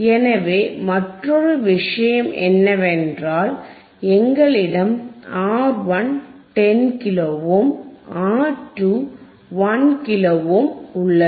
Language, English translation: Tamil, So, another point is, here we have R 1 equals to 10 kilo ohm, R 2 equals to 1 kilo ohm, right